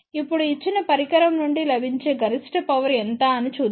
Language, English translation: Telugu, Now, let us see what is the maximum available power from a given device